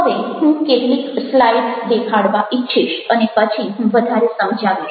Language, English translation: Gujarati, so just i would like to show some slides and then i will explain further